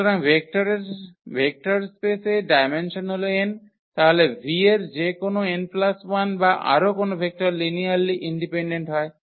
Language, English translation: Bengali, So, the dimension of the vector space is n, then any n plus 1 or more vectors in V are linearly dependent